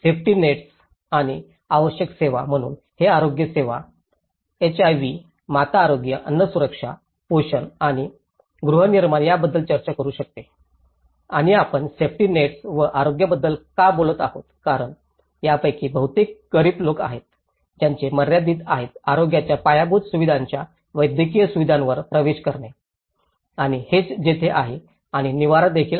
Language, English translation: Marathi, Safety nets and essential services, so this can talk about the health care, HIV, maternal health, food security, nutrition and housing and why we are talking about the safety nets and health because most of these affected are the poor, which have a limited access to the medical facilities of the health infrastructure and this is where and also, the access to shelter